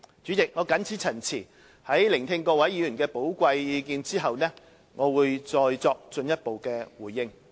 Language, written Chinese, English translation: Cantonese, 主席，我謹此陳辭，在聆聽各位議員的寶貴意見後，我會再作進一步回應。, With these remarks President I will further give a response after listening to the valuable input of Members